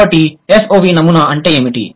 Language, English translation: Telugu, So, what is SOV pattern